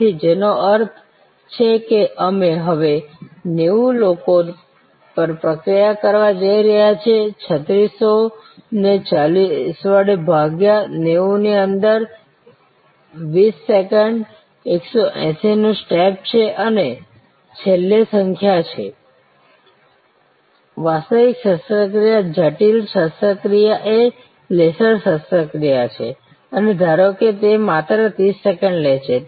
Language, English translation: Gujarati, So, which means we are looking at processing 90 people now, 3600 divided by 40, 90 within have a step of 20 second 180 and number of finally, the actual operation critical operation is the laser operation and suppose that takes 30 seconds only